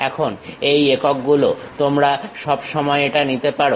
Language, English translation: Bengali, Now, the units you can always pick it